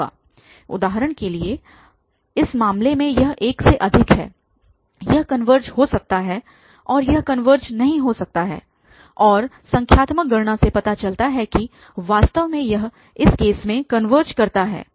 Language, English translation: Hindi, For example, in this case it is greater than 1 it may converge and it may not converge and the numerical calculation shows that actually it converges in this case